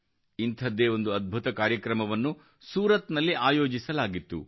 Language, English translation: Kannada, One such grand program was organized in Surat